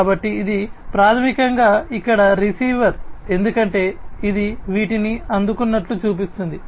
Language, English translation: Telugu, So, this is basically you know the receiver over here as you can see it is showing that it had received these